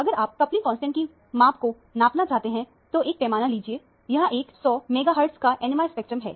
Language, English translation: Hindi, If you want to do the measurement of the coupling constant, take a ruler; this is a 100 megahertz NMR spectrum